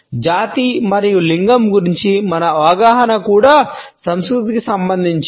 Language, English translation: Telugu, Our understandings of race and gender are also culture specific